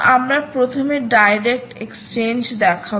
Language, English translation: Bengali, so we will first show you the direct exchange